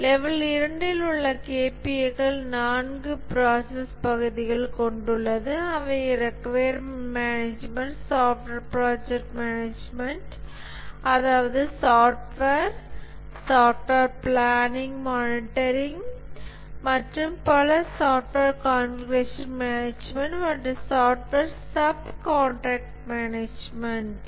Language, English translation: Tamil, The level 2 KPS are four process areas, requirements management, software project management, that is software project planning, monitoring and so on, software configuration management and software subcontract management